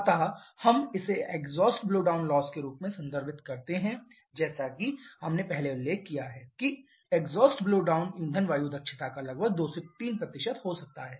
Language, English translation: Hindi, So, this is what we refer to as a exhaust blowdown loss as we have mentioned earlier the exhaust blowdown can be about 2 to 3% of fuel air efficiency